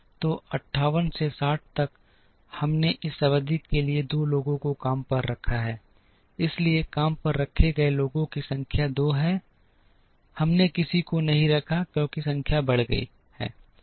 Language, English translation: Hindi, So, from 58 to 60 we have hired 2 people for this period, so the number of people hired is 2 we have not laid off any one because the number has increased